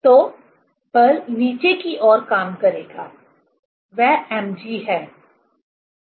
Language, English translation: Hindi, So, force will act downwards, that is mg